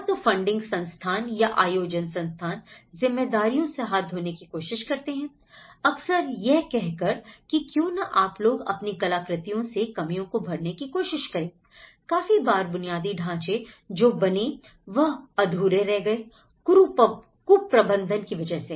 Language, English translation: Hindi, Either the funding institutions or the organizing institutions, they try to wash away their hands that yes, why donít you guys carry on with your artwork you know and try to fill the gap and also there has been infrastructure, many of the infrastructures has remained unfinished because there has been mismanagement